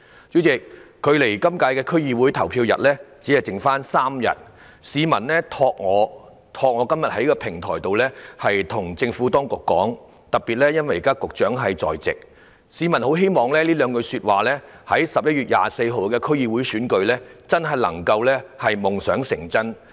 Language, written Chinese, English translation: Cantonese, 主席，距離這次區議會的投票日只餘3天，有市民想透過我在今天這個平台告訴政府當局，特別是局長現時也在席，他們很希望有兩句說話可以在11月24日舉行的區議會選舉夢想成真。, President we are only three days away from the polling date of the DC Election . Some members of the public want me to via this platform today tell the Administration especially the Secretary who is now present at the meeting their two ardent wishes for the DC Election to be held on 24 November